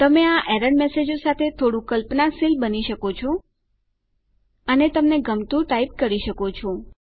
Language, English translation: Gujarati, You can be a bit imaginative with these error messages and type what you like